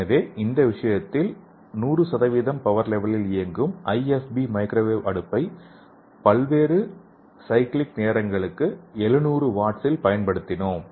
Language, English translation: Tamil, So in this case we have used IFB microwave oven operating at 100% power level that is 700 watt for different cyclic times